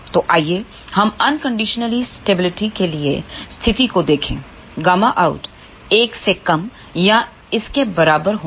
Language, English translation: Hindi, So, let us look at the condition for unconditional stability gamma out should be less than or equal to 1